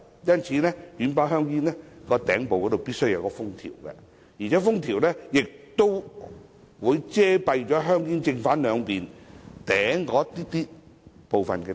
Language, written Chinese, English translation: Cantonese, 因此，軟包香煙的頂部必須要有封條，而且封條亦會遮蔽香煙正、背兩面頂部部分位置。, Hence it is necessary to have a seal on the top of soft pack cigarettes and the seal does cover a portion of the front and the back sides of the packet